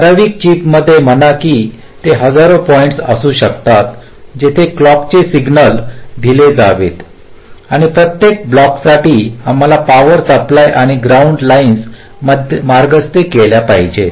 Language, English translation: Marathi, say, in a typical chip, there can be thousands of points where the clock signals should be fed to, and again, for every block we need the power supply and ground lines to be routed ok